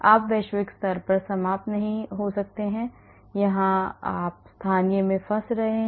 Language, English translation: Hindi, And you might not be ending up at the global you may be ending up getting stuck in the local here